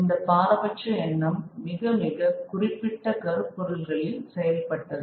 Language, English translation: Tamil, They also had their prejudice but prejudices worked on very, very specific themes